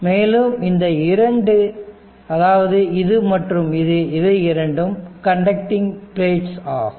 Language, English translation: Tamil, And these two this one and this one these two are conducting plates